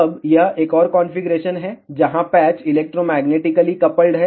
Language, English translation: Hindi, Now, this is the another configuration, where patches are electromagnetically coupled